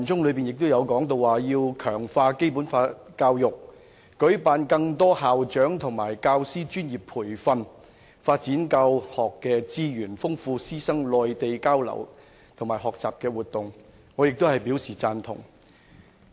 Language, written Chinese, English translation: Cantonese, 該段亦提到要"強化《基本法》教育、舉辦更多校長及教師專業培訓、發展教學資源、豐富師生內地交流及學習活動"，我亦表贊同。, It is also mentioned in the paragraph that the authorities will strengthen Basic Law education organize more professional development programmes for principals and teachers develop teaching and learning resources enrich Mainland exchange programmes and learning activities for teachers and students to which I also agree